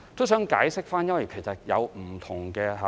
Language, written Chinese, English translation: Cantonese, 我想解釋一下，因為當中有不同的考慮。, I would like to give a brief explanation because different considerations are involved